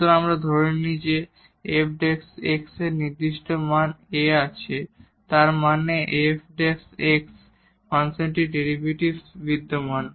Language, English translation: Bengali, So, we assume that f prime x has definite value A; that means, this f prime exist or the function derivative exist